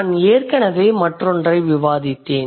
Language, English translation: Tamil, So, this is I have already discussed